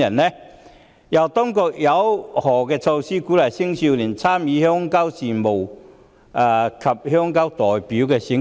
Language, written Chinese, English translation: Cantonese, 此外，當局有何措施鼓勵青少年參與鄉郊事務及鄉郊代表選舉？, Furthermore what measures will be taken to encourage young people to participate in rural affairs and rural representative elections?